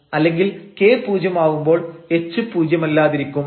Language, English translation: Malayalam, So, you are letting at k to 0 and the h non zero